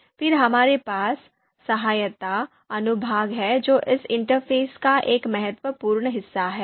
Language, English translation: Hindi, So this help section is an important part of this interface